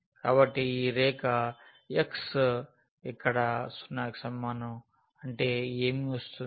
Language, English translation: Telugu, So, this line x is equal to 0 what it implies here